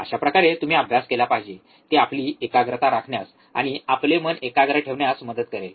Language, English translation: Marathi, That is how you should study, it will help to keep our concentration and keep our mind focus